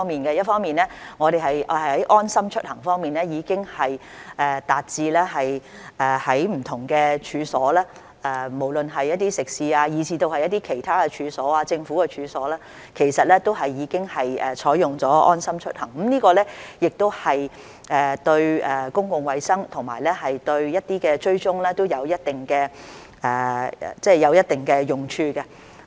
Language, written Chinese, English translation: Cantonese, 一方面，我們的"安心出行"流動應用程式的應用已經達至不同的處所，無論是食肆以至其他處所、政府處所，其實都已經採用"安心出行"，這對公共衞生和對一些追蹤都有一定的用處。, On the one hand the application of our LeaveHomeSafe mobile app has been extended to different premises . LeaveHomeSafe is now being adopted in restaurants and other premises including government premises and this is useful to a certain extent for public health and for tracking purpose